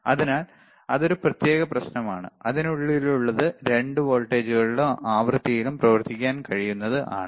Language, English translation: Malayalam, So, that is that is a separate issue that what is within it so that it can operate on both the voltages both the frequency